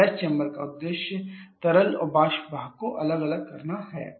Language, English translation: Hindi, The purpose of the flash chamber is to separate out the liquid and vapour part